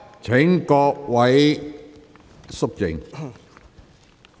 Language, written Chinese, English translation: Cantonese, 請各位肅靜。, Please keep quiet